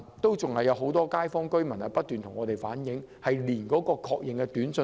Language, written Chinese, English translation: Cantonese, 然而，仍有很多居民不斷向我們反映，仍未收到確認短訊。, However many residents have been relaying to me that they have not yet received an SMS notification